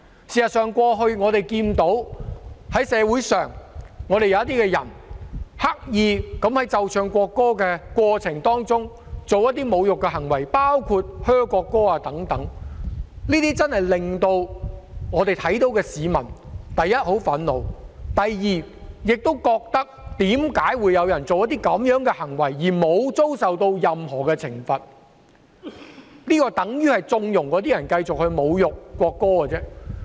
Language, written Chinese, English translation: Cantonese, 事實上，過去我們看到社會上有些人刻意在奏唱國歌的過程中作出一些侮辱行為，包括在奏唱國歌時報以噓聲等，令看到這些行為的市民真的感到很憤怒；第二，市民亦覺得為何有人作出這些行為後，不會遭受任何懲罰，這樣等於縱容那些人繼續侮辱國歌。, In fact we have witnessed in the past that some people in society deliberately engaged in some insulting behaviours when the national anthem was played and sung including booing the national anthem during that time which made members of the public who saw such behaviours extremely angry indeed . Second members of the public also queried why those people would not be subject to any penalties after showing such behaviours this is tantamount to conniving at those people to continue to insult the national anthem